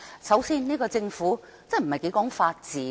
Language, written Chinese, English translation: Cantonese, 首先，這個政府真的不太講求法治。, Firstly this Government really does not care too much about the rule of law